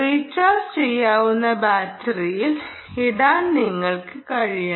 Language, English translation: Malayalam, you should be able to put it into a rechargeable battery